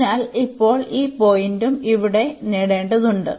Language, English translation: Malayalam, So, now, we also need to get this point here